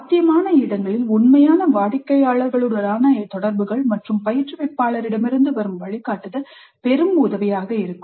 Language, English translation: Tamil, Interactions with real clients were possible and subsequent guidance from instructor would be of great help